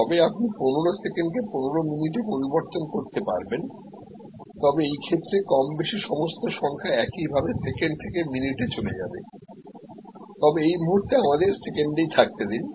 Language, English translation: Bengali, But, you can change the number 15 seconds can become 15 minutes, but in that case more or less all of these numbers will also similarly go from second to minutes, but at the moment let us stay with the seconds